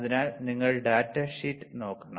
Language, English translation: Malayalam, So, you have to look at the data sheet